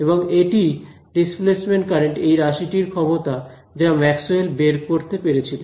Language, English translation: Bengali, And that was really the power of this displacement current term over here which Maxwell was able to do right